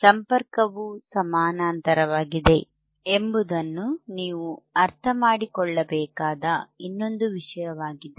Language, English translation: Kannada, There is one more thing that you have to understand is the parallel connection is parallel